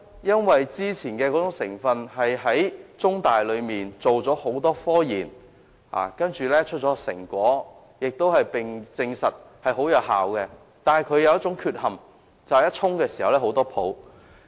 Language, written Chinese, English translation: Cantonese, 因為雖然先前採用的成分經香港中文大學多番進行研究，得出成果，證實效果良好，卻有一個缺點，就是沖泡時產生很多泡沫。, The original ingredients used for the product were selected according to the results of the repeated studies conducted by The Chinese University of Hong Kong and the effect was good . However the product turned out to have one shortcoming that is a lot of froth and bubbles would form when water was poured into it